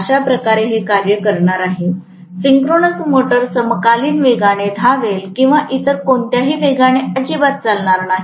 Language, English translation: Marathi, That is the way it is going to function, the synchronous motor will run at synchronous speed or will not run at all at any other speed